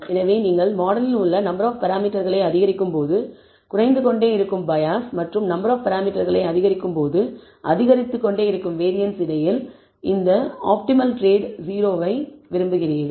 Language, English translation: Tamil, So, want this optimal trade o between the bias which keeps reducing as you increase the number of parameters and the variance which keeps increasing as the number of parameters in the model increases